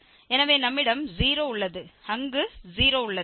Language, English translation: Tamil, So, we have 0 there and we have 0 there